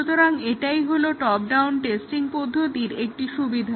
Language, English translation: Bengali, This is an example of bottom up testing